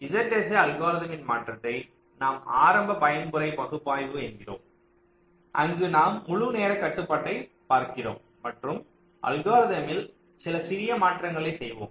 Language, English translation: Tamil, ok, there is modification to these z s a algorithm called early mode analysis, where we will look at the whole time constraint and make some small modification to the algorithm